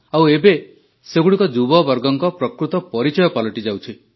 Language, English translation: Odia, Sometimes, it becomes the true identity of the youth